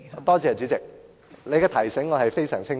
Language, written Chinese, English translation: Cantonese, 多謝代理主席的提醒，我是非常清楚的。, Thank you Deputy President for your reminder . I notice this full well